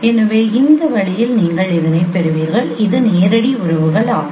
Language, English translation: Tamil, So you get in this way this is a direct relationships